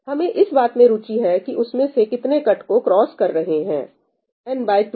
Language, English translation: Hindi, We are interested in how many of them are crossing the cut n by 2